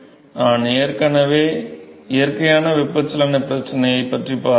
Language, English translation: Tamil, So, we already looked at natural convection problem